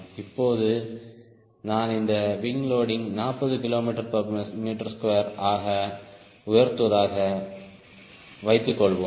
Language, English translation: Tamil, now suppose i raise this wing loading to forty k g per meter square